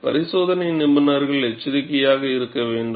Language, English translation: Tamil, Experimentalists have to be alert